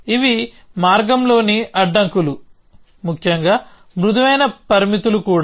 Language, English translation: Telugu, These are constraints on the path essentially also soft constraints